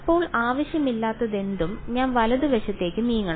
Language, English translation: Malayalam, Now whatever is unwanted I should move to the other side right